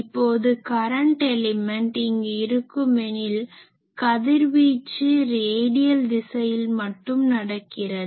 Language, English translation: Tamil, You have seen that if we have a current element here, the radiation is taking place only in radial direction